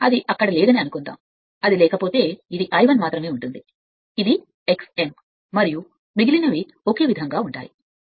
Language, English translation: Telugu, Suppose it is not there, if it is not there then this is I I 1 only, this is X m and rest remains same right